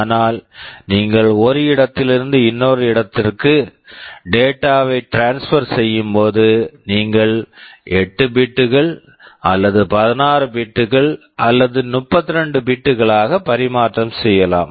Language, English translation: Tamil, But when you are transferring data from one place to another, you can transfer 8 bits or 16 bits or 32 bits